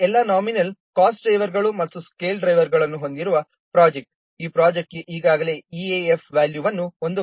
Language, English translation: Kannada, So a project with all nominal cost drivers and scale drivers for this project, it is already calculated, EF value is 1